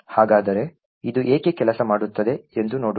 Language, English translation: Kannada, So, let us see why this thing would work